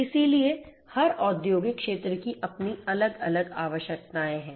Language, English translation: Hindi, So, every industrial sector has its own separate requirements